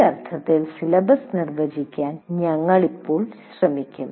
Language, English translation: Malayalam, So we will now try to define syllabus in this sense